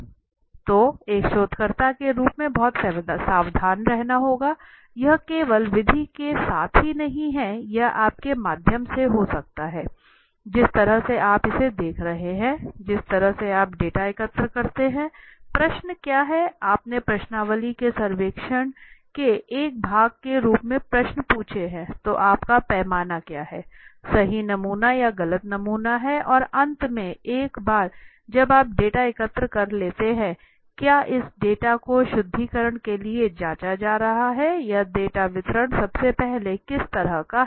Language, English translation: Hindi, So as a researcher one has to be very careful, it is not only with the method only, it can be through your, the way you are observing it, the way you collect the data, the questions what questions have you asked as a part of the survey of the questionnaire, then what is the scale you have utilized is the sample right sample or wrong sample and finally once you have collected the data is the data, has this data being checked for purification is the data first of all which kind of a distribution is the data following